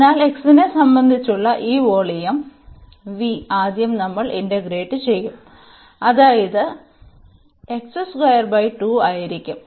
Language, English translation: Malayalam, So, this v the volume with respect to x we have to integrate first so; that means, this will be x square by 2